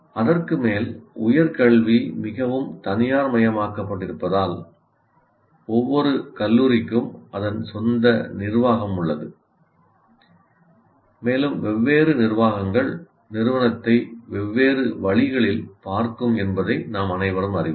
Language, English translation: Tamil, On top of that, because the education is highly privatized, that means each college has its own management and we all know different management will look at the institution in a different way